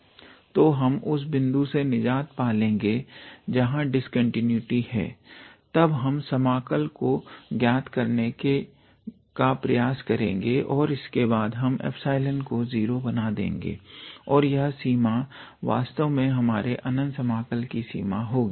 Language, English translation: Hindi, So, we just get rid of that point where the discontinuity happens and then we try to evaluate the integral and afterwards we make epsilon go to 0, and that limit will actually be the limit of our improper integral